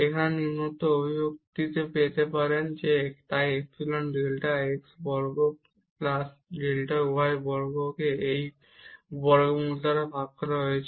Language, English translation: Bengali, To get this following expression here, so epsilon delta x square plus delta y square divided by this square root here